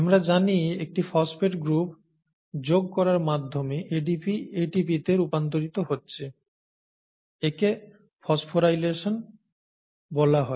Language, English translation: Bengali, ADP getting converted to ATP we know is by addition of a phosphate group, it is called phosphorylation